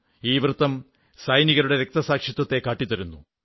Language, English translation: Malayalam, This circle stands for the sacrifice of our soldiers